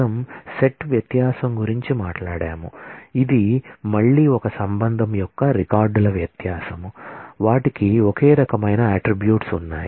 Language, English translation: Telugu, We talked about set difference which again is the difference of records of one relation from another, given that they have identical set of attributes